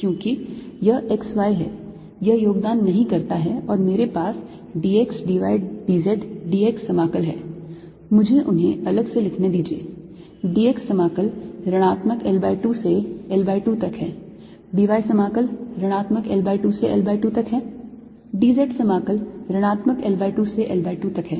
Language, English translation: Hindi, let's do it in blue: y component is y square, a y is y square, so integral d s a y is going to be y square d x d z at y equals l by two, minus integral y square d x d z at y equals minus l by two